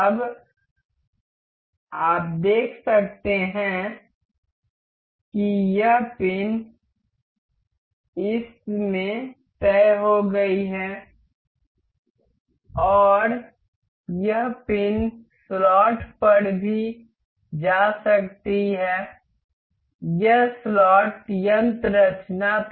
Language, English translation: Hindi, Now, you can see this pin is fixed into this and this pin can also move on to the slot, this was slot mechanism